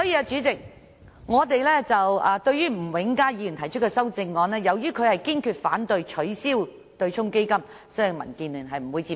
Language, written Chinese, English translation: Cantonese, 主席，吳永嘉議員在他的修正案中表明工商業界堅決反對取消對沖機制，民建聯不會接受。, President in his proposed amendment Mr Jimmy NG states that the industrial and commercial sectors resolutely oppose abolishing the offsetting mechanism and DAB also raises objection